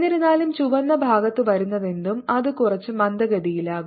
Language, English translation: Malayalam, however, whatever comes on the red side, it goes little slow